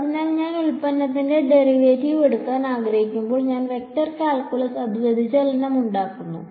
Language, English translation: Malayalam, So, when I want to take the derivative of the product the in vector calculus it becomes divergence right